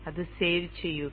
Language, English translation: Malayalam, And save that